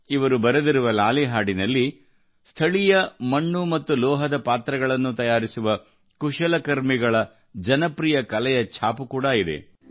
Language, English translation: Kannada, The lullaby he has written bears a reflection of the popular craft of the artisans who make clay and pot vessels locally